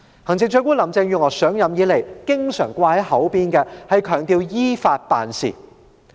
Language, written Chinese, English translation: Cantonese, 行政長官林鄭月娥上任以來經常掛在嘴邊的是強調要依法辦事。, Since Chief Executive Carrie LAM has taken office she always stresses that the Government must act in accordance with the law